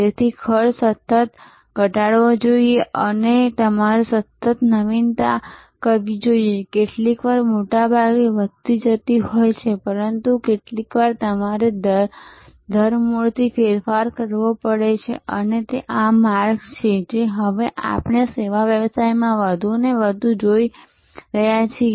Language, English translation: Gujarati, So, cost must be continuously lowered and you must continuously innovate, sometimes most of the time incremental, but sometimes you may have to radically change and this is the trajectory that we see now in service businesses more and more